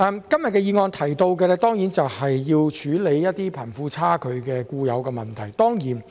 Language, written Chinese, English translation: Cantonese, 今天的議案提出要處理貧富差距的固有問題。, The motion today raises the need to address the inherent problem of wealth disparity